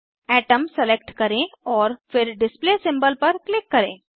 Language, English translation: Hindi, A Submenu opens Select Atom and then click on Display symbol